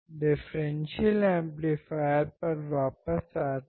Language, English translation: Hindi, So, coming back to differential amplifier